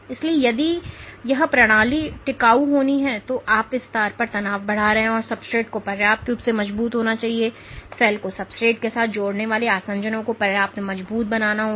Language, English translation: Hindi, So, if this system is to be sustainable and if you are increasing the tension in this string then the substrate has to be strong enough or the adhesions which the cell engages with the substrate has to be strong enough